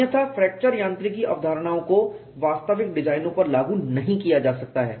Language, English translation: Hindi, Otherwise fracture mechanics concepts cannot be applied to actual designs